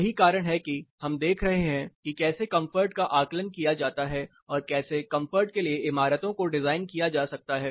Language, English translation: Hindi, That is why we are re looking at how comfort can be assessed and how to design buildings for comfort itself